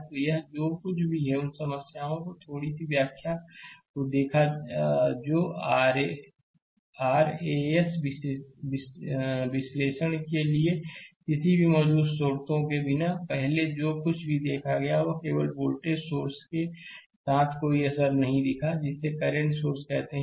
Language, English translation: Hindi, So, this is whatever we have seen those problems and little bit of explanation that is your without any current sources for the mesh analysis earlier whatever we have saw we saw it is only with the voltage sources we have not seen any your what we call current sources, right